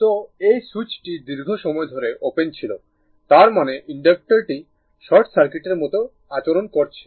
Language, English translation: Bengali, So, this switch was open for a long time means, that inductor is behaving like a short circuit right